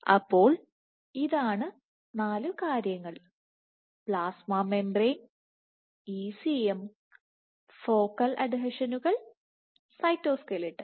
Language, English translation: Malayalam, So, there are these four things, so plasma membrane, ECM, focal adhesions, and cytoskeleton